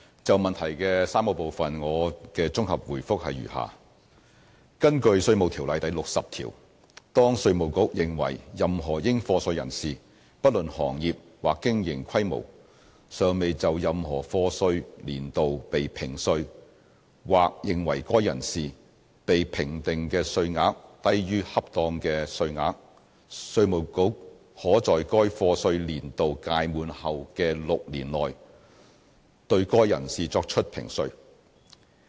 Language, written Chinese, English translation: Cantonese, 就質詢的3個部分，我的綜合答覆如下：根據《稅務條例》第60條，當稅務局認為任何應課稅人士，不論行業或經營規模，尚未就任何課稅年度被評稅，或認為該人士被評定的稅額低於恰當的稅額，稅務局可在該課稅年度屆滿後的6年內，對該人士作出評稅。, My consolidated reply to the three parts of the question is set out below Under section 60 of the Inland Revenue Ordinance IRO where it appears to IRD that any person chargeable to tax irrespective of industry or business size has not been assessed or has been assessed at less than the proper amount for any year of assessment IRD may make tax assessment on such person within six years after the expiration of the year of assessment concerned